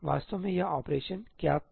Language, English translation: Hindi, Actually what was this operation